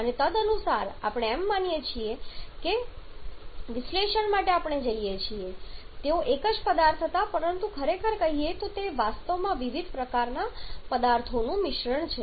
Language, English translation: Gujarati, And accordingly we go for analysis by assuming they were single substance but truly speaking they are actually mixture of different kind of substances